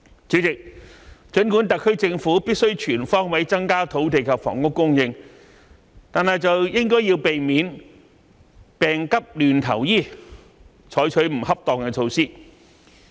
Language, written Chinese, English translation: Cantonese, 主席，儘管特區政府必須全方位增加土地及房屋供應，卻應該避免"病急亂投醫"而採取不恰當的措施。, President while the SAR Government has to increase land and housing supply on all fronts it should refrain from taking inappropriate measures in a haphazard manner